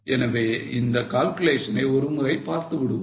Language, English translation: Tamil, So, let us have a look at the calculation